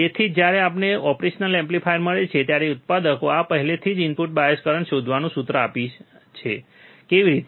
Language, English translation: Gujarati, That is why when we get the operational amplifier, the manufacturers already give us the formula of finding the input bias current, how